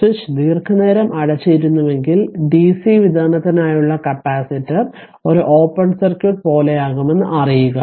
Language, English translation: Malayalam, If switch was closed for long time you know that for the DC for the DC supply, the capacitor will be a like an open circuit right